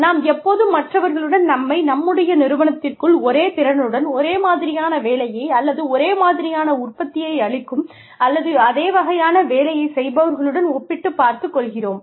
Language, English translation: Tamil, We are constantly also, comparing ourselves with others, within our organization, who come with the same set of skills, we do, and create or, do the same kind of work, we do